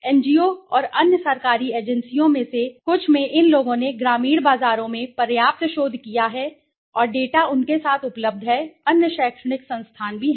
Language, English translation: Hindi, Some of the NGO s and other government agencies so these people have done enough of research in the rural markets and the data are available with them, right other educational institutions are also there